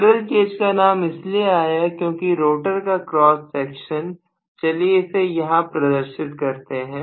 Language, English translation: Hindi, So the name squirrel cage come because what I have is the rotor cross section let me show it like this